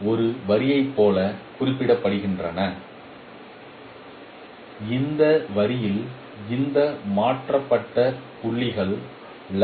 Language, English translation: Tamil, This itself represents as if a line on this line this transformed points are lying